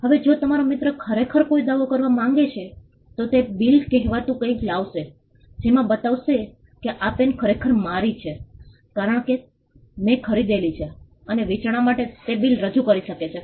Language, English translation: Gujarati, Now if your friend wants to really make a claim, he would come up with something called a bill, showing that this pen is actually mine, because I purchased is for consideration, he could produce a bill